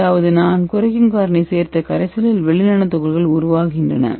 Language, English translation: Tamil, So you can see here the tube which I added reducing agent it reduces the metal salt into silver nano particle